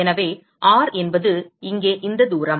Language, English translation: Tamil, So, R is this distance here